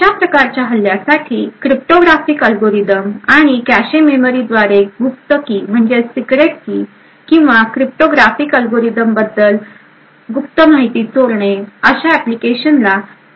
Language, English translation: Marathi, For these forms of attacks target application such as cryptographic algorithms and have been used to steal secret keys or secret information about the cryptographic algorithm through the cache memory